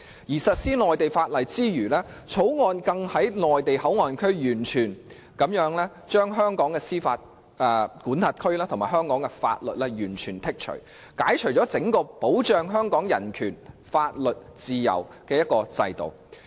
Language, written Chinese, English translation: Cantonese, 在實施內地法例之餘，更將口岸區的香港司法管轄權和香港法律完全剔除，並把整個保障香港人權、法律和自由的制度移除。, Not only will MPA apply Mainland laws it will also be completely removed from the jurisdiction and laws of Hong Kong as well as the entire system where Hong Kongs human rights laws and freedom are safeguarded